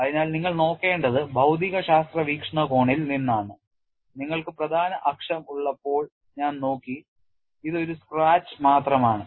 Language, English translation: Malayalam, So, what we will have to look at is, from physics point of view, I have looked at when you are having the major axis it is only a scratch